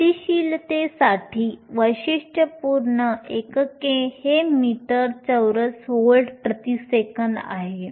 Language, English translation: Marathi, The typical units for mobility are meter square volts per seconds